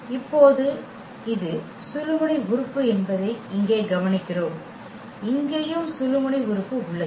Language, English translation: Tamil, And now, we observe here that this is the pivot element and here also we have the pivot element